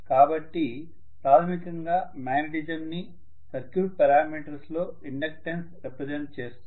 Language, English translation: Telugu, So the inductance is basically the representation of the magnetism in circuit parameters